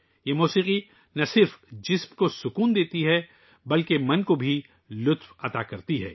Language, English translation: Urdu, This music relaxes not only the body, but also gives joy to the mind